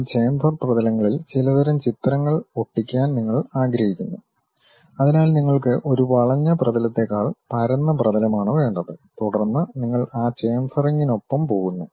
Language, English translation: Malayalam, You want to stick some kind of pictures on that chamfer surfaces so you require flat surface rather than a curved surface, then you go with that chamfering